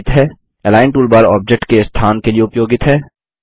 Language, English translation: Hindi, The Align toolbar is used to position objects